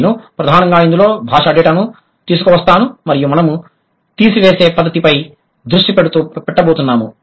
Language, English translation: Telugu, I'll primarily bring in language data and we are going to focus on the deductive method